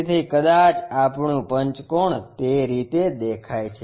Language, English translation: Gujarati, So, perhaps our pentagon looks in that way